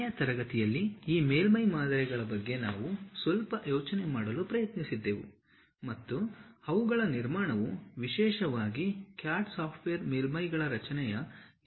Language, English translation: Kannada, In the last class, we try to have some idea about this surface models and their construction especially CAD software uses two basic methods of creation of surfaces